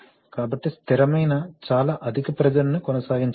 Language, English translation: Telugu, So even steady very high pressures cannot be sustained